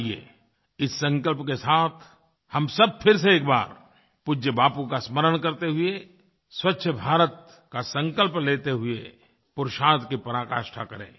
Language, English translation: Hindi, Let us all, once again remembering revered Bapu and taking a resolve to build a Clean India, put in our best endeavours